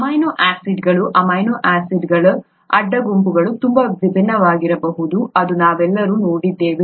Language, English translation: Kannada, We all saw that the amino acid, the side groups of the amino acids could be so different